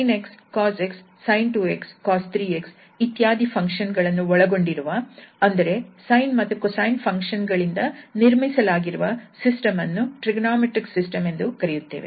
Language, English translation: Kannada, We are calling this sine cosine and so on sin 2x cos 3x, that is system with having cosine sine functions and that is called trigonometric system